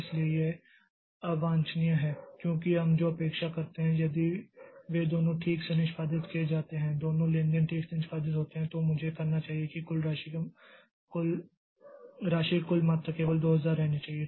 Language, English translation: Hindi, So, that is undesirable because what we expect is if both of them are executed properly, both the transactions are executed properly, then I should the total amount of sum should remain 2,000 only